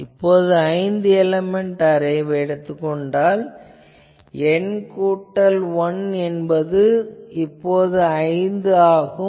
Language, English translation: Tamil, Then if I do for a five element array, N is equal to again it is not N, N plus 1 is equal to 5